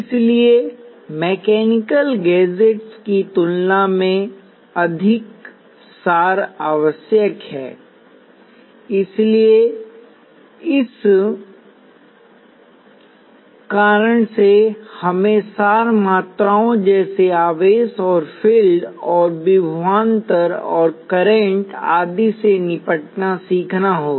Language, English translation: Hindi, So there necessarily more abstract than mechanical gadgets; so for that reason, we have to learn to deal with abstract quantities such as charge and field and voltage and current and so on